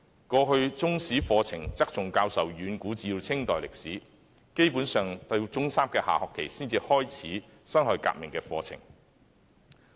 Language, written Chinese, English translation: Cantonese, 過去，中史課程側重教授遠古至清代歷史，基本上由中三下學期才開始教辛亥革命的課程。, In the past the Chinese History curriculum emphasized the history from the ancient times to the Qing Dynasty basically only beginning to cover the 1911 Revolution in the second term of Form Three